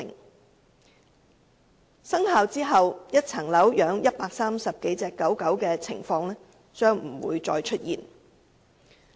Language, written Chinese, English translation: Cantonese, 在《修訂規例》生效後，一個單位飼養130多隻狗隻的情況將不會再出現。, After the Amendment Regulation comes into operation the case of keeping some 130 dogs in a single flat will no longer exist